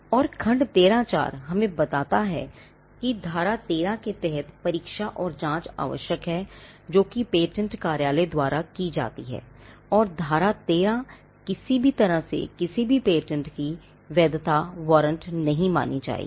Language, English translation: Hindi, And section 13 tells us that the examination and investigations required under section 12, which is done by the patent office and this section which is section 13 shall not be deemed in any way to warrant the validity of any patent